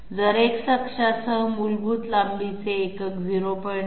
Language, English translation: Marathi, If the basic length unit along X axis is 0